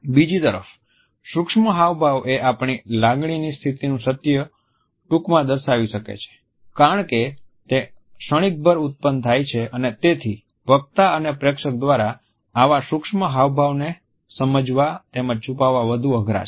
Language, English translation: Gujarati, On the other hand the micro expressions very briefly can suggest the truth of our emotional state because they occur in a fleeting fashion and therefore, their understanding as well as their concealment by the onlooker as well as by the speaker is rather tough